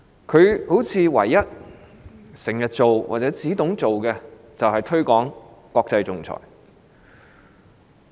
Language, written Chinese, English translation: Cantonese, 似乎她唯一經常做或懂得做的事情是推廣國際仲裁。, It seems that the only task she often takes up or is competent of is to promote international arbitration